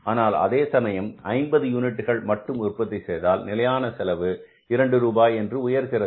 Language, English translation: Tamil, But if you only manufacture 50 units, so fixed cost will go up to 2 rupees, right